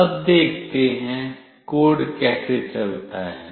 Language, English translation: Hindi, Let us now see, how the code goes